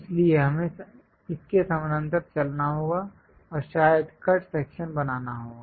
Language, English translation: Hindi, So, we have to move parallel to that and perhaps make a cut section